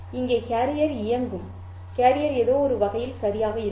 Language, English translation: Tamil, Here carrier will be on, carrier will be off in some sense, right